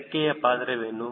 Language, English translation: Kannada, what is the role of wing